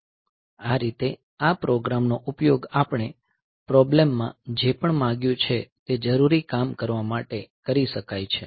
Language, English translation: Gujarati, So, this way this program can be used for doing the necessary job whatever we have asked for in the problem